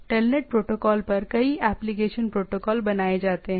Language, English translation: Hindi, Many application protocols are built upon the telnet protocol